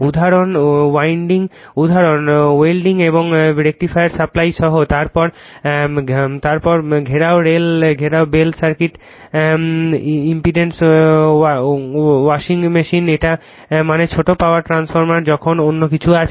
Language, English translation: Bengali, Example, including welding and rectifier supply rectifiersupplies then domestic bell circuit imported washing machine it is I mean so many many things are there for small power transformer